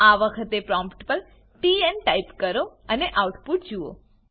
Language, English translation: Gujarati, This time at the prompt type in TN and see the output